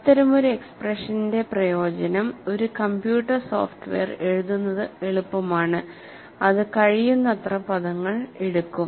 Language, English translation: Malayalam, The advantage of such an expression is, it is easy to write a computer software, which would take as many terms as possible, for data processing